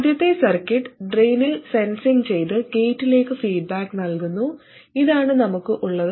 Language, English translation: Malayalam, The very first circuit sensing at the drain and feeding back to the gate, this is what we had